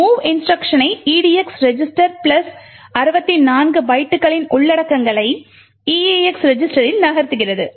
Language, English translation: Tamil, The mov instruction moves the contents of edx register plus 64 bytes into the eax register